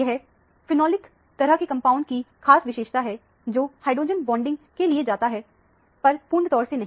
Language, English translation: Hindi, This is a very characteristic feature of phenolic type of compounds, which undergo hydrogen bonding, but not completely